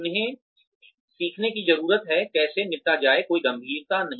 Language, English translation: Hindi, They need to learn, how to deal with, no gravity situations